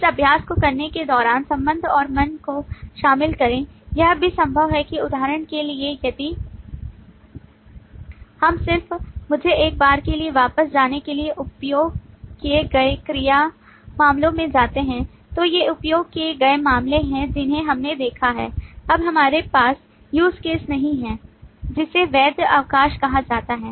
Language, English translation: Hindi, and, mind you, while you do this exercise, it is also possible that, for example, if we just let me for once go back to the wow used cases so these are the used cases that we have seen now in this we do not have a use case called, say, validate leave